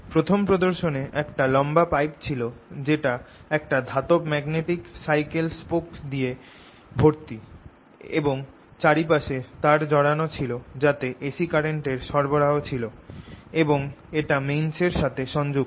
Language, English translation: Bengali, in the first demonstrations i had this long pipe which was filed with metallic magnetic bicycle spokes and all around it were these wires carrying a c and this was connected to the mains